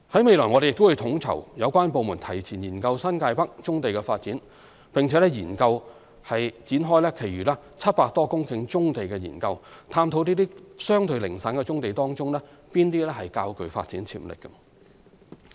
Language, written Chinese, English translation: Cantonese, 未來，我們亦會統籌有關部門提前研究新界北棕地的發展，並研究展開其餘700多公頃棕地的研究，探討這些相對零散的棕地當中哪些較具發展潛力。, Looking ahead we will also coordinate among relevant departments to advance the study on developing brownfield sites in New Territories North and initiate a study on the remaining some 700 hectares of scattered brownfield sites to identify those with greater development potential